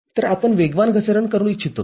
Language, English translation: Marathi, So, we would like to have a faster fall